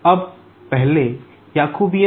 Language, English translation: Hindi, Now, what is Jacobian